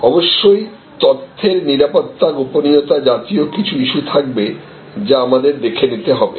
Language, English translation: Bengali, Of course, there will be certain data security privacy issues all those will have to be sorted